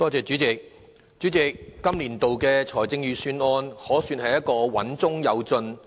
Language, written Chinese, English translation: Cantonese, 代理主席，本年度的財政預算案可算是穩中有進。, Deputy President it would be fair to say that the Budget this year can achieve progress in a measured manner